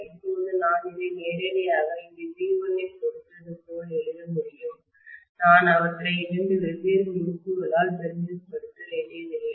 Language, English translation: Tamil, Now I should be able to write this directly as though I just have V1 applied here, I don’t have to represent them by two different windings and so on and so forth